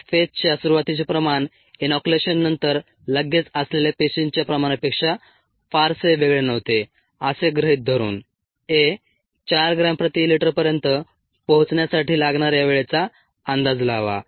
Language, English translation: Marathi, under these conditions, assuming that the cell concentration at the start of the log phase was not significantly different from that immediately after inoculation, a estimated the time needed for it to reach four gram per litre